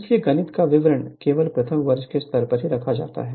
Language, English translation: Hindi, So, details mathematics other thing just keeping at the first year level